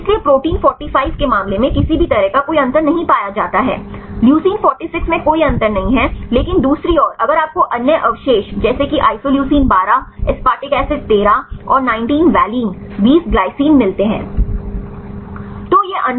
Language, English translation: Hindi, So, in the case of protein 45 right any find any difference no difference Leucine 46 no difference, but the other hand if you see other residues like isoleucine 12, aspartic acid thirteen and 19 valine, 20 glycine